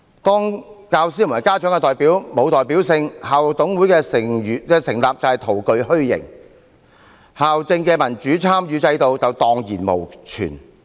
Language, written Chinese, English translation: Cantonese, 當教師和家長的代表沒有代表性，校董會的成立便是徒具虛形，校政的民主參與制度便會蕩然無存。, When the representatives of teachers and parents are not representative in nature the establishment of IMC will be to no avail and there will not be a single trace of the system for democratic participation in school administration